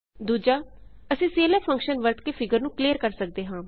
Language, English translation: Punjabi, We use clf closing bracket function to clear a figure